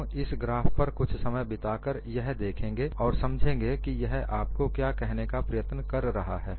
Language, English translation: Hindi, We will spend some time on this graph and understand what it tries to tell you